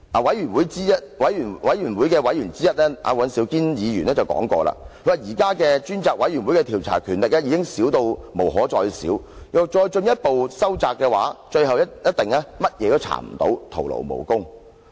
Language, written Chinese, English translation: Cantonese, 專責委員會委員尹兆堅議員說過："現時專責委員會的調查權力已少得不能再少，若再進一步收窄，最後一定甚麼都查不到，徒勞無功。, Mr Andrew WAN a member of the Select Committee once said that the Select Committee has minimum inquiry power; if its power is further narrowed its inquiry will eventually be futile